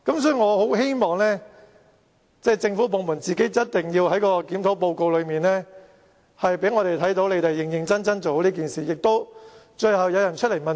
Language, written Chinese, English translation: Cantonese, 所以，政府部門必須在檢討報告內，讓我們看到你們在認真處理此事，而最後亦會有人要問責。, For that reason the Government department should show us in its review report that the incident is dealt with in a serious manner and eventually someone has to be held accountable